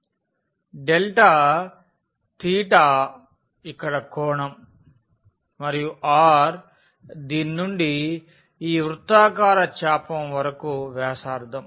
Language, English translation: Telugu, Delta theta was the angle here and the r was the radius from this to this circular arc